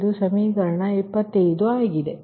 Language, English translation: Kannada, this is equation twenty nine